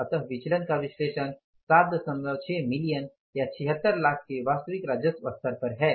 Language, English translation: Hindi, So, analysis of the variance is at actual revenue level of the 7